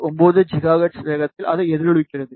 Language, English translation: Tamil, 9 gigahertz it is resonating